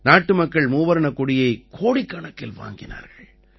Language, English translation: Tamil, The countrymen purchased tricolors in crores